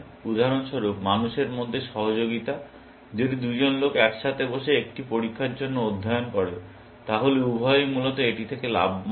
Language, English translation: Bengali, For example, cooperation between people, if two people sit down and study together for an exam, then both of them gains from it, essentially